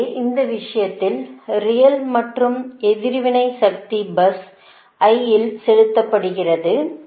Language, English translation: Tamil, so in that case the real and reactive power injected at bus i